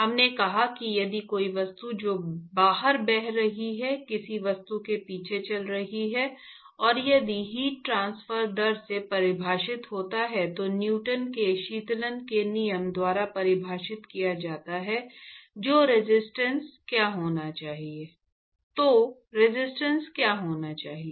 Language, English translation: Hindi, We said if there is things that are flowing outside, following past an object, and if you assume that heat transfer is defined by rate is defined by Newton’s law of cooling then what should be the resistance, etcetera